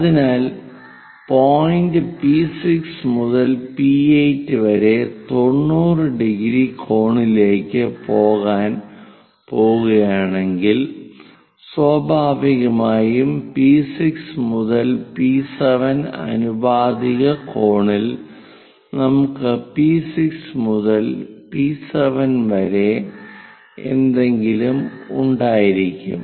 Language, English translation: Malayalam, So, if point P6 to P8 if it is going to cover 90 degrees angle, then naturally P6 to P7 proportionate angle we will be having something like P6 to P7 it takes pi by 4 length